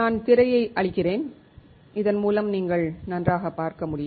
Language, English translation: Tamil, I am clearing out the screen, so that you guys can see better